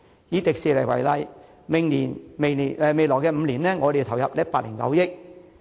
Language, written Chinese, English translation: Cantonese, 以迪士尼為例，未來5年政府要投入109億元。, Take Disneyland as an example . The Government will have to inject 10.9 billion in the next five years